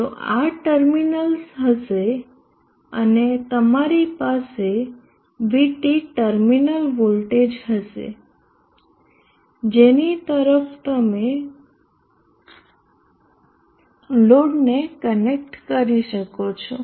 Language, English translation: Gujarati, So this would be the terminals and you will have wheat the terminal voltage across which you can connect the load